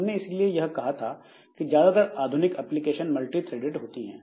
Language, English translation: Hindi, Now, so that is why it is said that most modern applications are multi threaded